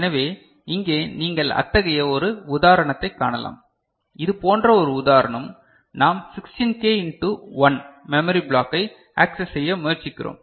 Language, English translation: Tamil, So, here you can see one such example, one such example where we are trying to address 16K into 1, that kind of memory block